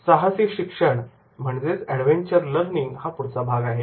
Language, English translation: Marathi, Then next is the adventure learning